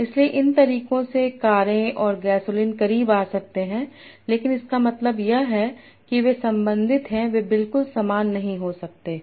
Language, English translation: Hindi, So by these methods car and gasoline might come closer but all it means is that they are related they may not be exactly similar